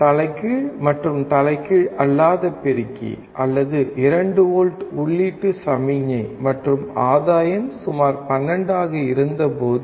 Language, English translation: Tamil, When the input signal in inverting and non inverting amplifier, or 2 volts and the gain was about 12